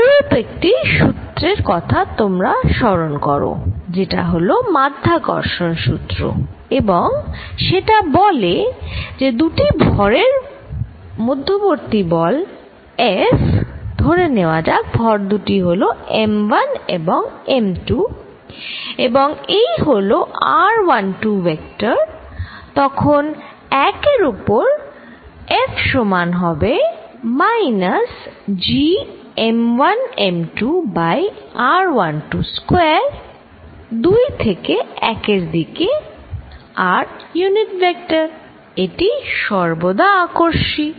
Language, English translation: Bengali, You recall that there is a similar law, one goes off and that is Gravitational law and what does that say, that says that the force between two masses F, let us say the masses are m 1 and m 2 and this is r 1 2 vector, then F on 1 is going to be equal to minus G m 1 m 2 over r 1 2 square r from 2 to 1 unit vector, this is always repulsive